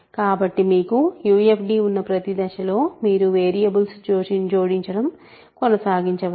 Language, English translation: Telugu, So, you can keep adding variables at each stage you have a UFD